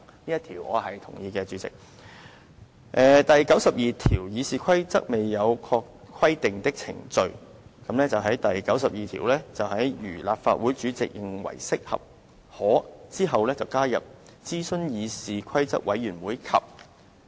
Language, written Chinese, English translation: Cantonese, 此外，他還修訂了第92條。在"如立法會主席認為適合，可"之後加入"諮詢議事規則委員會及"。, Besides he proposes to amend RoP 92 so that consult the Committee on Rules of Procedure and will be added after if he thinks fit